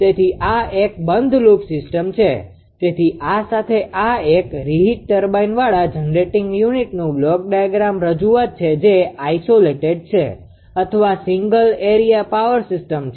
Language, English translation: Gujarati, So, this is a closed loop system; so, with this this is a block diagram representation of a generating unit with a reheat turbine it is isolated or single area power system what is area will come later